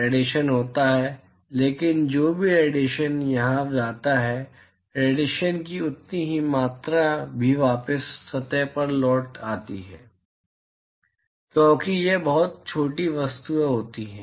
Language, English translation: Hindi, There is radiation, but whatever radiation goes here right, the same amount of radiation also is returned back to the surface because these are very small objects